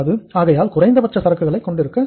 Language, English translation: Tamil, It means you have to keep the minimum inventory